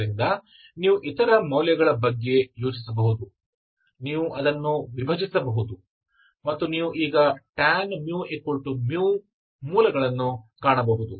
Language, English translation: Kannada, So you can think of other values, you can divide it and you can now find the roots of tan mu equal to mu